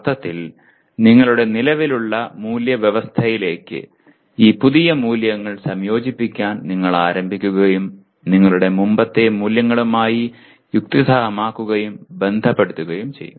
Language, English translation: Malayalam, In the sense you will start integrating this new values into your existing value system and you start rationalizing and relating to your earlier values